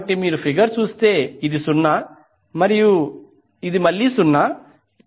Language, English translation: Telugu, So that means if you see the figure this is 0 and this is again 0